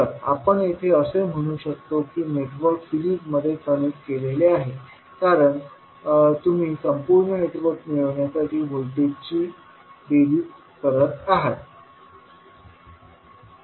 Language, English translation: Marathi, So, here we can say that the network is connected in series because you are adding up the voltages to get the complete network